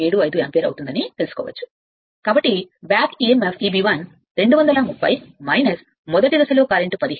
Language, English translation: Telugu, 75 ampere right therefore, the back Emf E b 1 will 230 minus first phase current was 15